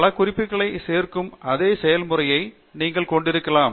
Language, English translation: Tamil, And you could have the same process to add multiple references